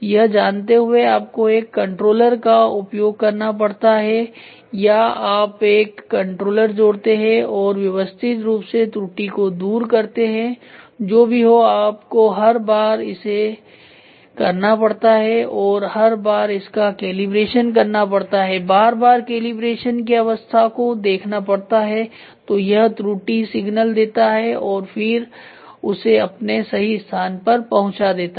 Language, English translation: Hindi, So, knowing this you have to do a controller or you add a controller and systematically fine tune the error whatever it is done for every time it has to be calibrated check with the calibrated status and then you give the error signal so it goes back to the original location